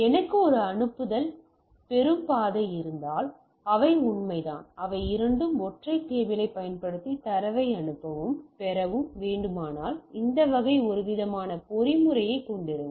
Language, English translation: Tamil, If I have a send receive type of path then we have a things that is true for they are also that if you have to both send and receive data using single cable, then that type some sort of a mechanism that with is there